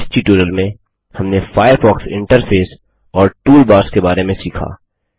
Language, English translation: Hindi, In this tutorial, we learnt aboutThe Firefox interface The toolbars Try this comprehensive assignment.